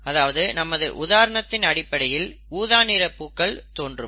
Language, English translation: Tamil, In other words, this would result in purple flowers